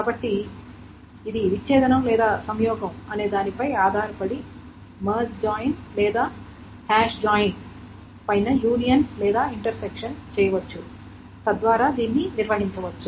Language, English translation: Telugu, So depending on whether it's disjunction or conjunction, union and intersection can be done on top of your merge join or hash join